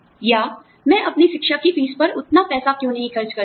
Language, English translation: Hindi, Or, why cannot I, spend the same amount of money, on my education fees